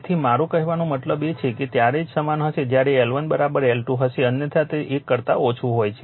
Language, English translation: Gujarati, So, if l I mean it will be equal only when L 1 is equal to L 2 otherwise it is less than right